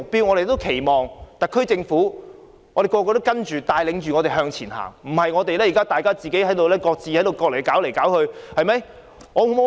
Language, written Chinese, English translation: Cantonese, 我們期望特區政府能帶領我們向前行，而不是要我們靠自己各自處理問題。, We hope that the SAR Government can lead us forward rather than leaving us to deal with the problems on our own